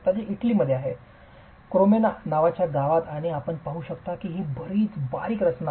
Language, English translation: Marathi, This is in Italy in a town called Cremona and as you can see it's a fairly slender structure